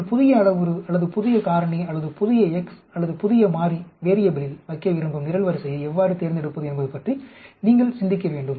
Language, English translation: Tamil, You need to think about how to select the column in which you want to put in your new parameter or new factor or new x or new variable